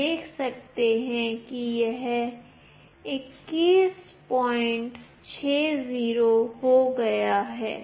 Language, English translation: Hindi, You can see that it has become 21